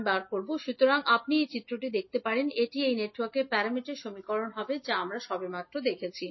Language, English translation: Bengali, Similarly, V 2a can be written as Z 21a I 1a Z 22a I 2a, so you can see from this particular figure this would be the Z parameter equations of this network will be the equation which we just saw